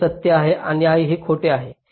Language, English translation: Marathi, this is true and this is false